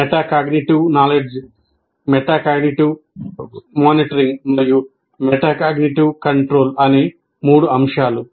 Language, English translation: Telugu, The three elements are metacognitive knowledge, metacognitive monitoring and metacognitive control